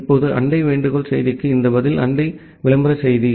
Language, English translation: Tamil, Now this response to the neighbor solicitation message is the neighbor advertisement message